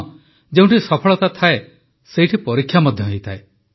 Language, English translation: Odia, Where there are successes, there are also trials